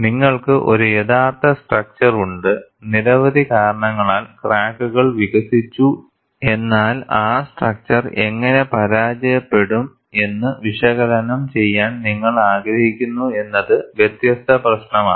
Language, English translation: Malayalam, You have a actual structure, because of several reasons, cracks are developed and you want to analyze how the structure is going to fail, that is a different issue